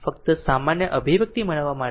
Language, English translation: Gujarati, Just to get generalized expression right